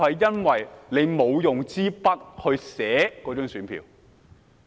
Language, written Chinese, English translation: Cantonese, 因為他沒有用筆在選票上填寫。, Because he did not write on the ballot paper with a pen